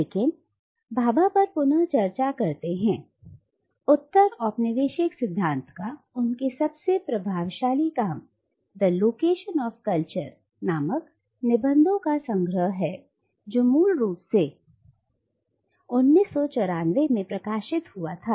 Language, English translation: Hindi, But coming back to Bhabha, his most influential work of postcolonial theory is the collection of essays titled The Location of Culture which was originally published in 1994